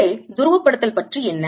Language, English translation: Tamil, what about the polarization inside